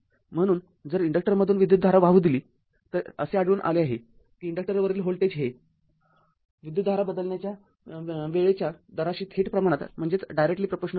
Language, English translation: Marathi, So if the current is allowed to pass through an inductor it is found that the voltage across the inductor is directly proportional to the time rate of change of current